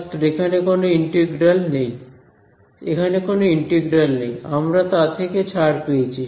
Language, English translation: Bengali, There is no there is no integral over here we got rid of it, yes